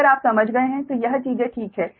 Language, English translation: Hindi, no, if you have understood this, things are fine